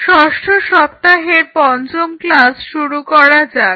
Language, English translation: Bengali, Let us start the fifth class of sixth week